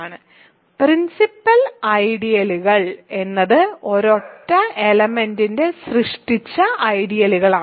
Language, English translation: Malayalam, So, “principal ideals” are ideals generated by a single element